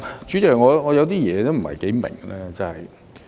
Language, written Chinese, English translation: Cantonese, 主席，我有些事情不太明白。, Chairman there is something that I do not quite understand